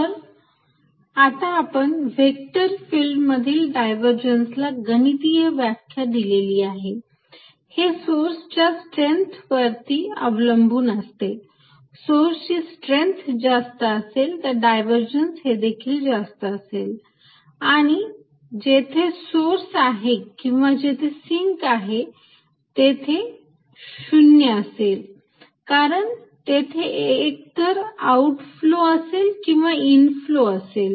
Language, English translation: Marathi, So, now we have given a mathematical definition to any divergence of any vector field, it is a related to the strength of the source and larger the source more powerful it is more the divergence and it is going to be non zero only at points, where there is a source or a sink, because then there is a net out flow or net inflow